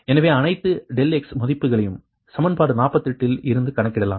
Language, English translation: Tamil, so all the all, the all, the del x value can be computed from equation forty eight, right